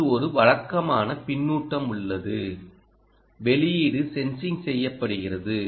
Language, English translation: Tamil, there is a usual feedback that you do output sensing